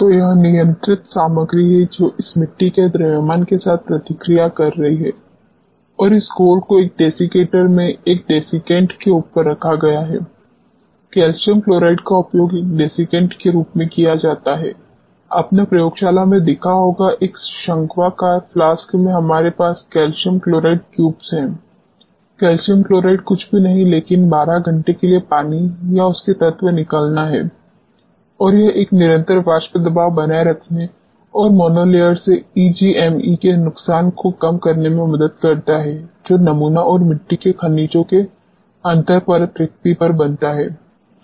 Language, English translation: Hindi, So, this is the controlled material which is reacting with this soil mass and this slurry is placed in the desiccator over a desiccant normally calcium chloride is used as a desiccant, you must have seen in the laboratory there in a conical flask we have calcium chloride cubes calcium chloride is nothing, but dehydrant for 12 hours and this helps in maintaining a constant vapour pressure and minimizing the loss of EGME from the monolayer, which forms on the sample and the interlayer spacing of the soil minerals